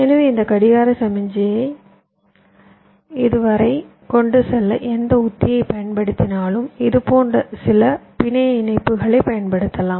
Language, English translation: Tamil, so whatever strategy i use to carry this clock signal up to this say i can use some connections like this